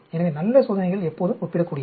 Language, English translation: Tamil, So, always good experiments are comparative